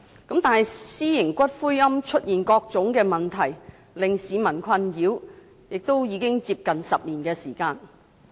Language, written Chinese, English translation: Cantonese, 但是，私營龕場產生各種令市民困擾的問題，亦已有接近10年時間。, However private columbaria have been causing all kinds of nuisances to people for nearly 10 years